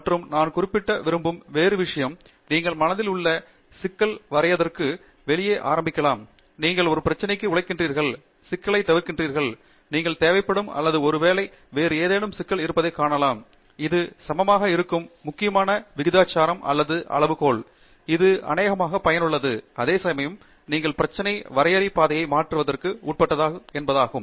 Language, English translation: Tamil, And the other thing that I want to mention is in research you may start out with the problem definition in mind and as you are working towards a problem, solving the problem, you may find some other problem which requires or probably or which is of equally important proportion or magnitude, that is probably worthwhile carrying out research in itself, which means that your problem definition is subject to change along the pathway